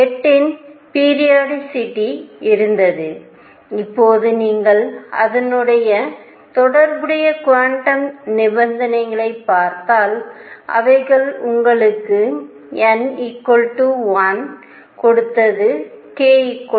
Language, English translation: Tamil, There was a periodicity of 8, now if you look at the corresponding quantum conditions, what they gave you for n equals 1 was k equal to 1